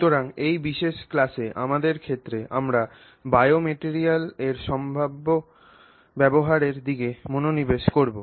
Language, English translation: Bengali, So, in our case in this particular class we will focus on potential use in biomaterials